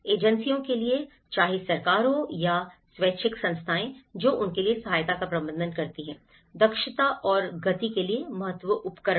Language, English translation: Hindi, For the agencies, whether is a government or voluntary organisations who administrate assistance for them, the important tools for efficiency and the speed